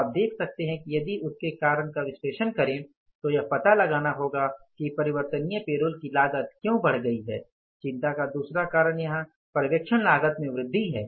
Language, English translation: Hindi, So, now you can see that if you analyze the reasons for that then we will have to find out why the variable payrolls cost has gone up and that second cause of concern here is the increase in the supervision cost